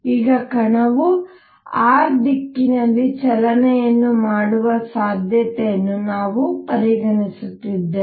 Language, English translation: Kannada, Now, we are considering the possibility that the particle can also perform motion in r direction